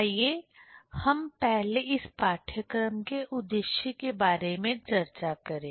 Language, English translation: Hindi, Let us first discuss about the aim of this course